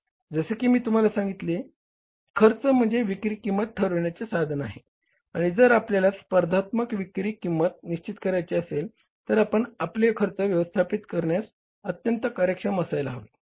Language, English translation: Marathi, Cost is the basis of fixing the selling price and if you want to fix up a competitive selling price, you have to become very, very efficient in managing your cost